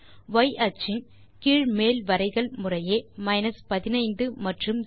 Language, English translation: Tamil, The lower and upper limits of y axis are 15 and 0 respectively